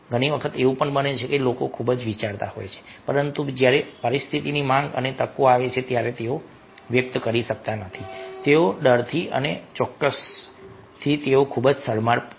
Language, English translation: Gujarati, many times it happens that people are thinking too much but when situation demands and ah, opportunities come, they are not able to express they out of fear or out of certain